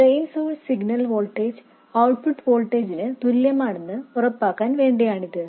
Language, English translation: Malayalam, This is just to make sure that the drain source signal voltage equals the output voltage